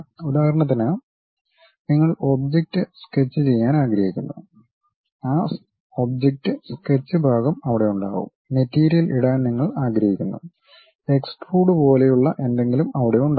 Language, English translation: Malayalam, For example, you want to sketch the object, that object sketch portion will be there, you want to fill the material, something like extrude will be there